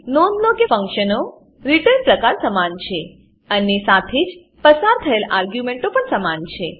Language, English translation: Gujarati, Note that the return type of the function is same and the arguments passed are also same